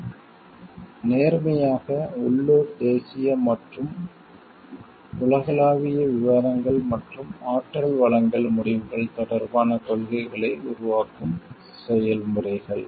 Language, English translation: Tamil, And honestly in local national and global discussions and, policymaking processes regarding energy supply decisions